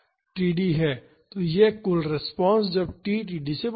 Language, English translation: Hindi, So, this is the total response when t is greater than td